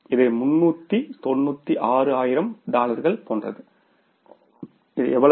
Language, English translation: Tamil, This is something like $396,000, $396,000